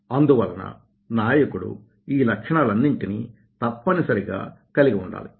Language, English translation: Telugu, so leaders must have, must have these quality